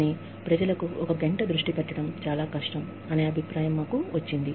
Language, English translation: Telugu, We got the feedback, that one hour is too difficult for people, to focus on